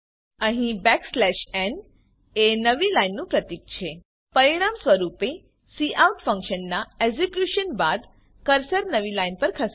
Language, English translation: Gujarati, Here \n signifies newline As a result, after execution of the cout function, the cursor moves to the new line